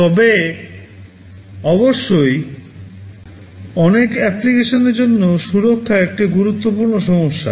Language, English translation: Bengali, And of course, safety is an important issue for many applications